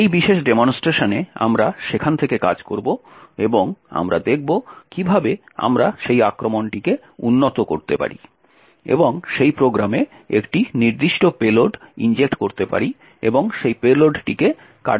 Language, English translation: Bengali, In this particular demonstration we will work from there and we will see how we can enhance that attack and inject a particular payload into that program and force that payload to execute